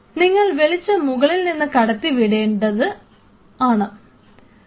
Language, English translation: Malayalam, And you have to shining the light from the top